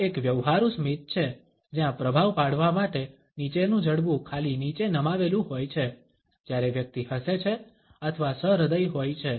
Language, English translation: Gujarati, This is a practice smile where a lower jaw is simply dropdown to give a impression when the person is laughing or play full